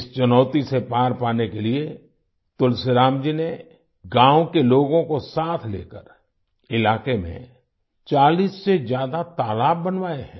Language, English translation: Hindi, To overcome this challenge, Tulsiram ji has built more than 40 ponds in the area, taking the people of the village along with him